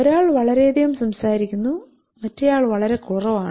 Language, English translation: Malayalam, So one is talking too much another is too less